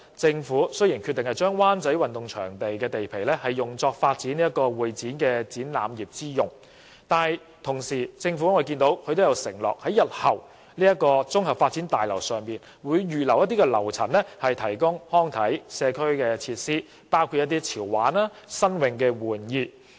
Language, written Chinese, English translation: Cantonese, 政府雖然決定把灣仔運動場地皮用作發展會議展覽業之用，但同時亦承諾在日後的綜合發展大樓上預留樓層提供康體及社區設施，包括一些潮玩和新穎的玩意。, Notwithstanding the Governments decision to provide convention and exhibition venues on the site of WCSG it also pledges that trendy and novel recreation and sports facilities as well as other community facilities will be provided in the future comprehensive development